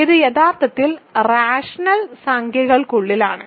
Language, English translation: Malayalam, So, this is actually inside the rational numbers